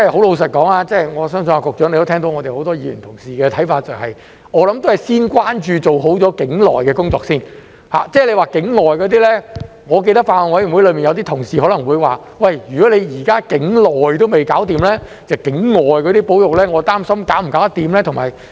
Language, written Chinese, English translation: Cantonese, 老實說，我相信局長也聽到很多議員同事的看法，就是我想還是先關注和做好境內的工作，至於境外那些情況，我記得法案委員會有同事曾提到，既然現時境內的也搞不好，他們擔心境外那些保育是否能做好。, Frankly speaking I think the Secretary has also heard the views of many Members that they would like to give priority to the work in Hong Kong and have it work done well . As for the work outside Hong Kong I remember some colleagues mentioned at the Bills Committee that as the work in Hong Kong had not been carried out satisfactorily they were concerned about whether the conservation work outside Hong Kong could be done properly